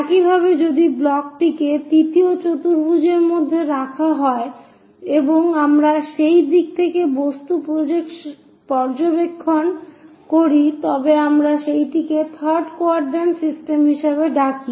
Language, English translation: Bengali, Similarly, if the block is kept in the third quadrant and we are making objects observations from that direction, we call that one as third quadrant system